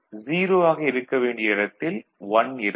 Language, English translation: Tamil, So, wherever there was 0, it will be then be 1